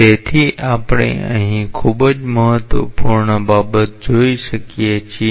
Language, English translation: Gujarati, So, what we can see from here is a very important thing